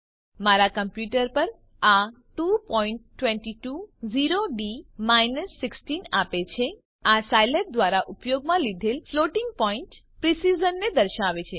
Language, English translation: Gujarati, On my computer it gives 2.220D 16 This shows the floating point precision used by Scilab